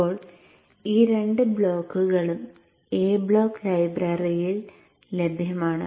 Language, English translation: Malayalam, Now these two blocks are available in the A block library